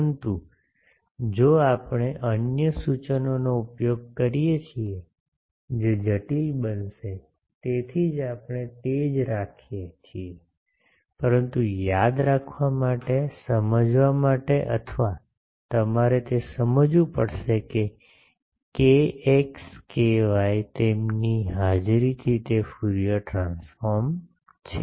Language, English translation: Gujarati, But if we use other notations that will get complicated that is why we are keeping the same, but remembering for remember, for understanding or you will have to understand that k x k y by their presence it is the Fourier transform